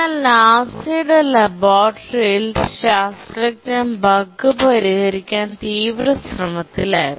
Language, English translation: Malayalam, But then in the laboratory in NASA they were desperately trying to fix the bug